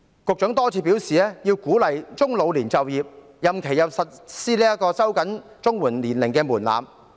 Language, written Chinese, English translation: Cantonese, 局長多次表示要鼓勵中老年就業，並收緊了長者綜合社會保障援助的年齡門檻。, The Secretary has reiterated the need to encourage people from middle to old age to work . The age threshold of the Elderly Comprehensive Social Security Assistance CSSA has also been raised